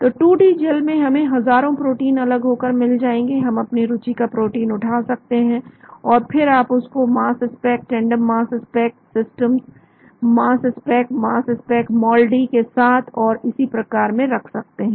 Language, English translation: Hindi, so in 2D gel we will get thousands of proteins separated, we may pick up the protein of our interest, and then you put that into your mass spec, tandem mass spec system mass spec mass spec with MALDI and so on